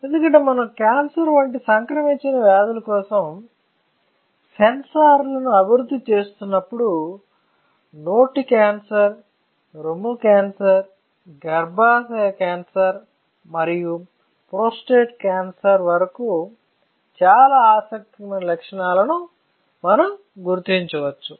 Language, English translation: Telugu, Because when you are discussing or when you are developing sensors for non communicable diseases like cancer; then you can take care of a lot of interesting properties, right from oral cancer to breast cancer to cervical cancer to prostate cancer and then we can also locate stomach and liver cancers